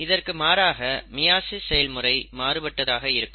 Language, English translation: Tamil, In contrast to that, meiosis is different